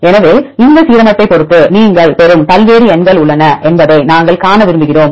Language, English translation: Tamil, So, we want to see there are various numbers you get depending upon this one alignment